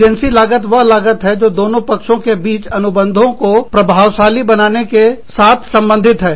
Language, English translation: Hindi, Agency costs are the costs, associated with establishing, efficient contract between the parties